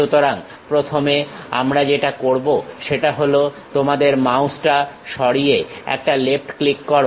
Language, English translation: Bengali, So, the first one what we are going to do is move your mouse give a left click